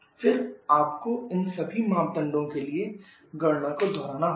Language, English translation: Hindi, Then you have to repeat the calculation for all this parameters